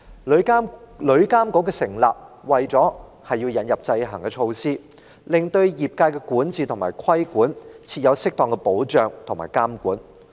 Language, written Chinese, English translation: Cantonese, 旅監局的成立，是為了引入制衡措施，設立適當的保障和監管，以便管治及規管業界。, The establishment of TIA is to introduce check and balances to provide proper safeguards and controls for governing and regulating the industry